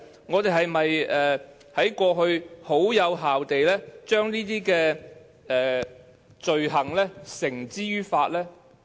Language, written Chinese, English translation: Cantonese, 我們在過去是否有效地把這些罪犯繩之於法？, Have we taken any effective measures to bring these offenders to justice?